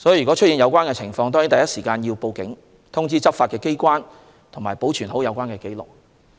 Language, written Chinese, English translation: Cantonese, 若出現有關情況，應第一時間報警，通知執法機關，以及保存有關紀錄。, If there are such cases the Police and the law enforcement agencies should be notified immediately and the relevant records should be kept